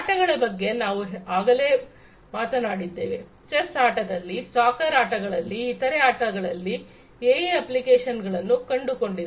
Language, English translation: Kannada, In games we have already talked about, in chess game, in soccer games, in different other games, right, AI has found applications